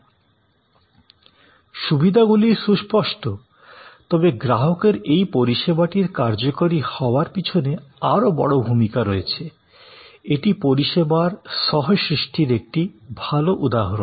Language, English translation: Bengali, Advantages are obvious, but the customer is playing the much bigger role in this service performance; this is a good example of service co creation